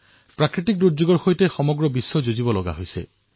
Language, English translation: Assamese, The world is facing natural calamities